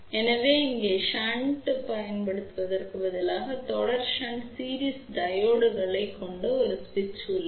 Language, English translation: Tamil, So, instead of just using series shunt here is an switch which consists of series shunt series diodes ok